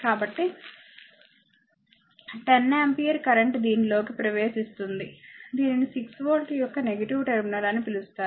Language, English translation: Telugu, So, 10 ampere current it is entering into this your, what you call this negative terminal of 6 volt